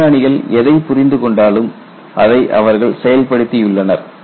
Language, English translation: Tamil, Whatever the scientist have understood they have implemented